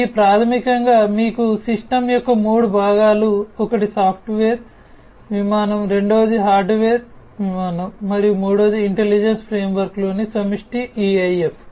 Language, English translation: Telugu, In this basically you have 3 types, 3 parts of the system one is the software plane, second is the hardware plane and the third is the ensemble in intelligence framework the EIF